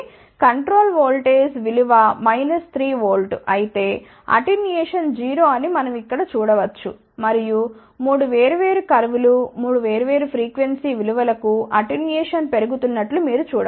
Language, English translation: Telugu, So, we can see here if the control voltage is a minus 3 volt attenuation is 0 and then you can see that attenuation is increasing 3 different curves are for 3 different frequency values